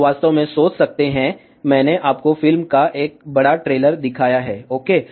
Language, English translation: Hindi, You can really think about, I have shown you a large trailer of a movie ok